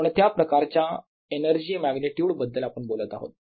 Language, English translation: Marathi, what kind of magnitude of energy are we talking about